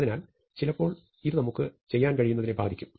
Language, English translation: Malayalam, So, this distinction has an impact on what we can do